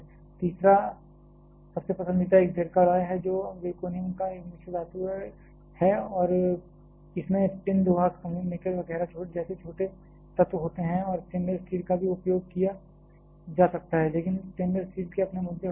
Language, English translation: Hindi, Third one there is a most preferred one Zircalloy which is an alloy of zirconium and contains small elements like tin, iron, chromium, nickel, etcetera and stainless steel can also be used, but stainless steel may have it is own issues